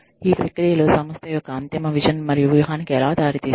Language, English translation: Telugu, How do these processes, then leads to the, ultimate vision and strategy, of the organization